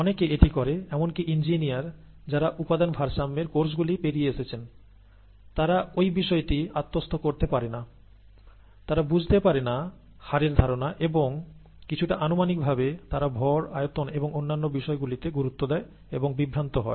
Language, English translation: Bengali, Many people do this; even engineers who have gone through courses in material balances don’t internalize it, don’t internalize the concept of rate and kind of intuitively get into mass and volume and so on so forth, and get confused